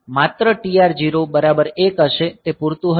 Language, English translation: Gujarati, So, only TR0 will be equal to 1 will be sufficient